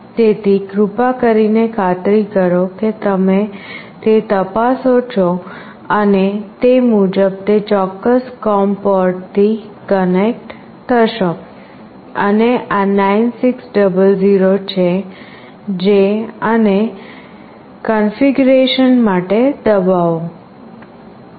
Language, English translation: Gujarati, So, please make sure you check that and accordingly connect to that particular com port, and this is 9600 and press for the configuration